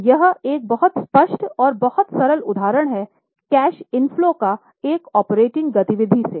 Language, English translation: Hindi, So, this is a very clear cut and very simple example of cash inflow from operating activities